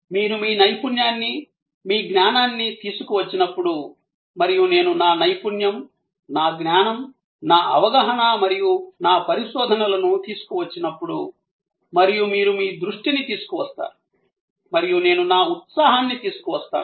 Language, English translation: Telugu, When you bring your expertise, your knowledge and I bring my expertise, my knowledge, my understanding and my research and you bring your attention and I bring my enthusiasm